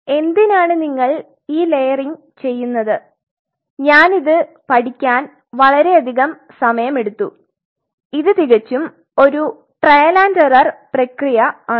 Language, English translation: Malayalam, On top and why do you do this layering this took me a long time to learn it is absolutely trial and error